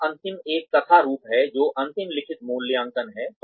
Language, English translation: Hindi, The last one here is, narrative forms, which is the final written appraisal